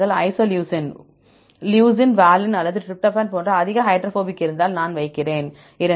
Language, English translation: Tamil, If it is highly hydrophobic like isoleucine, leucine, valine or tryptophan I put 2